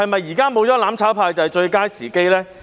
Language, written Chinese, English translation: Cantonese, 現在沒有了"攬炒派"，是否就是最佳時機呢？, Now that there is no more mutual destruction camp is it the best time to do it?